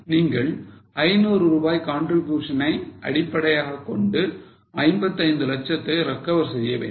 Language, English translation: Tamil, Now you want to recover 55 lakhs based on a contribution of 500